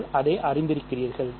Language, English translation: Tamil, So, that you are familiar with it